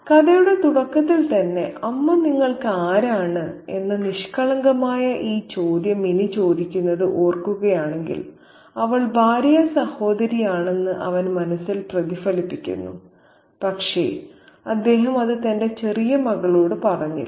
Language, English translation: Malayalam, At the very beginning of the story, if you recall, Minnie asks this very innocent question, who is mum to you and he kind of reflects in his mind that she is the sister in law, but he doesn't spell it out to his little daughter and he tells her to go out and play with Bola